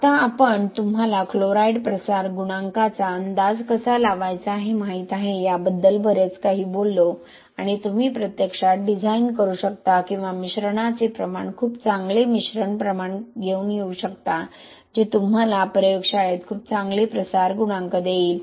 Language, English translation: Marathi, Now we talked a lot about you know how to estimate chloride diffusion coefficient and you can actually design or mixture proportion come up with a very good mixture proportion which will give you a very good diffusion coefficient in the laboratory